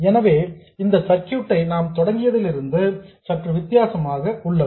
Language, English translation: Tamil, So, this circuit is somewhat different from what we started with